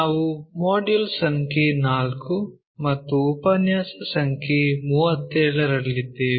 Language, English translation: Kannada, We are in Module number 4 and Lecture number 37